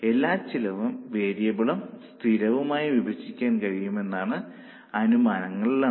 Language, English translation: Malayalam, The foremost assumption is all expenses can be classified either as variable or as fixed